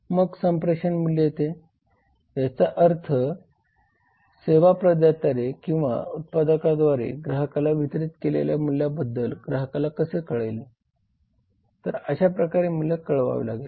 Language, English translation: Marathi, then comes the communicating value that means how the customer will come to know about the value that is being delivered by the service provider or by the producer to the customer so that is how the value is to be communicated